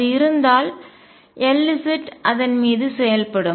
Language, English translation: Tamil, If it was there then L z would operate on it